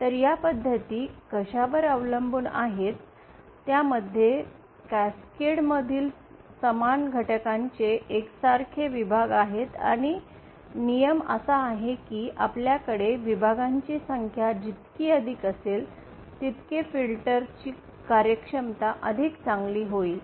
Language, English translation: Marathi, So what these methods relay on is having identical sections of similar elements in cascade and the rule is that more the number of sections you have, the better the performance of the filters will be